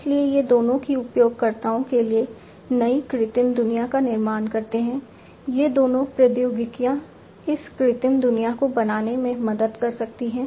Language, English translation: Hindi, So, both of these they create new artificial world for the users, both of these technologies can help create this artificial world